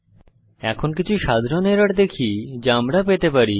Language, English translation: Bengali, Now let us see some common errors which we can come accross